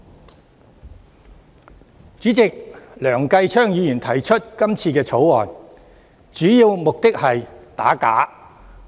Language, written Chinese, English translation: Cantonese, 代理主席，梁繼昌議員提出這項《條例草案》，主要目的是想打假。, Deputy President Mr Kenneth LEUNG proposes this Bill mainly to combat forgery